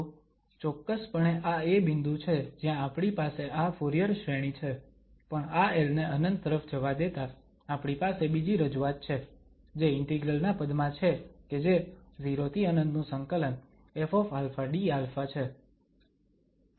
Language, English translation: Gujarati, So, this is exactly the point where we have this Fourier series and but letting this l to infinity, we have another representation which is in terms of the integral now that 0 to infinity, F alpha, d alpha